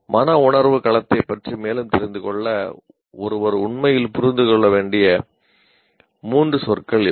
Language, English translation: Tamil, So these are the three words one should really understand to get to know more about affective domain